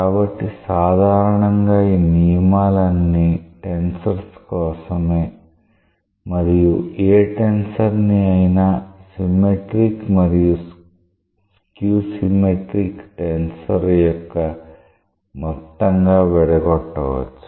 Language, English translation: Telugu, So, in general these rules are for tensors and we can say that any tensor may be decomposed as a sum of a symmetric and a skew symmetric tensor